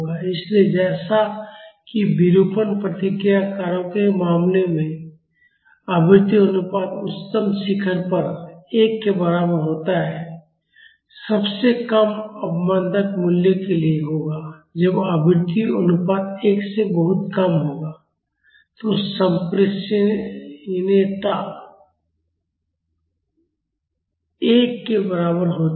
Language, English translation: Hindi, So, as in the case of deformation response factors the highest peak at frequency ratio is equal to one will be for the lowest damping value, when the frequency ratio is much less than 1 the transmissibility is equal to 1